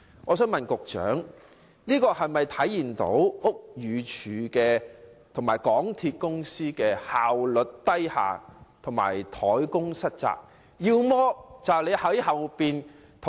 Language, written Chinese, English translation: Cantonese, 我想請問局長，這是否反映屋宇署和港鐵公司效率偏低和怠工失責？, I would like to ask the Secretary if this is a reflection of the inefficiency slackness and breaches of responsibilities on the part of BD and MTRCL